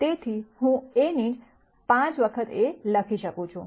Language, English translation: Gujarati, So, I could write A itself as 5 times A